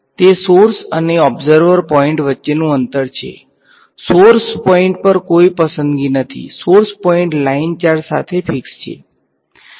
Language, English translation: Gujarati, It is the distance between the source and observer point, there is no choice on the source point, source point is fixed is along the line charge